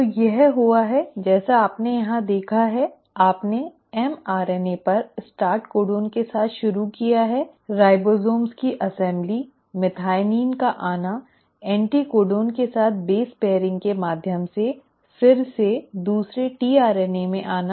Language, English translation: Hindi, So this has happened as what you have seen here is, you started with the start codon on the mRNA, assembly of the ribosomes, coming in of methionine, coming in of a second tRNA again through base pairing with anticodon